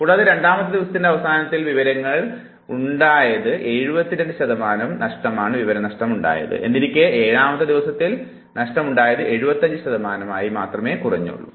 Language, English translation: Malayalam, And again the loss of information at the end of the second day is 72 percent, whereas loss of information on the 7th days 75 percent only